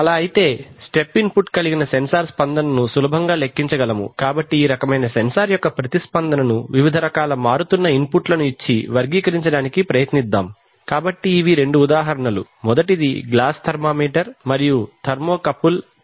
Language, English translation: Telugu, So if so we can easily compute the response of us, of a sensor whose input is a step input so we can so, let us try to characterize the response of this kind of a sensor to various kinds of changing inputs, so the first so these are two examples marketing glass thermometer and thermocouple thermo well